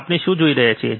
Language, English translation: Gujarati, What we see